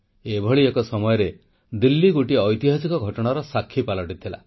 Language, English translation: Odia, In such an atmosphere, Delhi witnessed a historic event